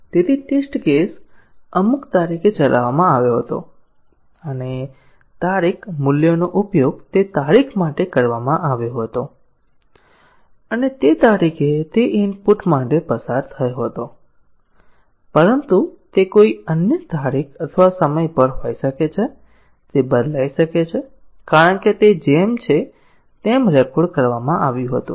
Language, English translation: Gujarati, So, the test case was run on some date and the date value was used for that date and it passed on that date for that input value but, may be on some other date or time; it may change, because it was just recorded as it is